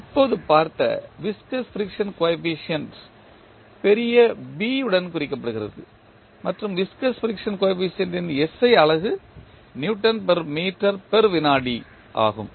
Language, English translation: Tamil, Viscous friction coefficient with just saw it is represented with capital B and the SI unit for viscous friction coefficient is n by Newton per meter per second